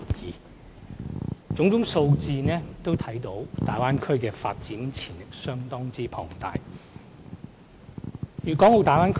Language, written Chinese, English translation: Cantonese, 從種種數字可見，大灣區的發展潛力相當龐大。, As evidenced by all these figures the growth potentials of the Bay Area is simply enormous